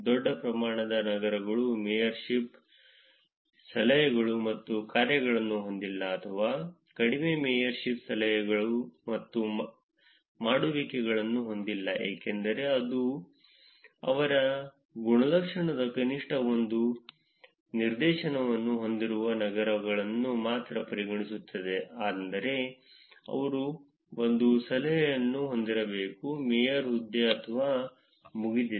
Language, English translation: Kannada, Large amount of cities do not have mayorship tips and dones or very little as many little mayorship, tips and dones because the condition was that they were considering only cities with at least one instance of the attribute, which is they should have had one tip, mayorship or done